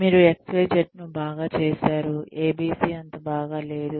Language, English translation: Telugu, You have done XYZ well, ABC not so well